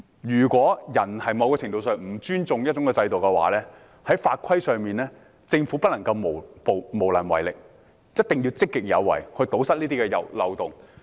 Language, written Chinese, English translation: Cantonese, 如果人在某程度上不尊重一個制度的話，在法規上，政府不能夠無能為力，一定要積極有為，以堵塞這些漏洞。, If some people are to a certain extent disrespectful towards a system then on the legislative front the Government must not allow itself to be hamstrung . Rather it must proactively introduce initiatives to plug the loopholes